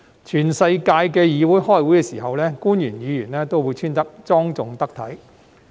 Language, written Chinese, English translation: Cantonese, 全世界的議會開會的時候，官員和議員也會穿着莊重得體。, In places all over the world officials and Members of parliamentary assemblies dress decently and appropriately when attending meetings